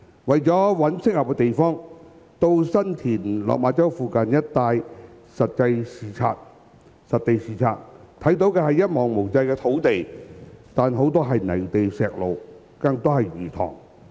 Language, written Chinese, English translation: Cantonese, 為了尋找合適地方，曾到新田、落馬洲附近一帶實地視察，看見的是一望無際的土地，但很多是泥地、石路，更多是魚塘。, To identify suitable site we had conducted site inspection on the area of San Tin and Lok Ma Chau . What we saw was a huge piece of land with patches of muddy land stone roads and many fish ponds in particular